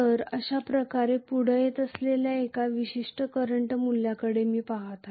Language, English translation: Marathi, So I am going to look at one particular current value coming up like this